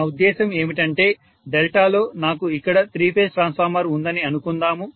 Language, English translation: Telugu, What I mean is let us say I have a three phase transformer here in delta like this